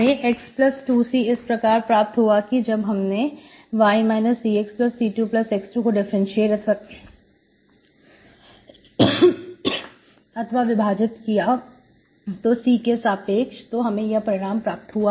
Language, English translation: Hindi, How did I get this one, x plus 2C, y minus Cx minus C square plus x square, that are differentiated with respect to C, this is what is the result, okay